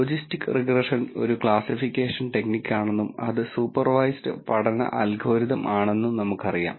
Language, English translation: Malayalam, We know that logistic regression is a classification technique and it is a supervised learning algorithm